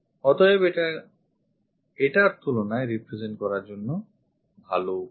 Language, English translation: Bengali, So, this is a good way of representation compared to this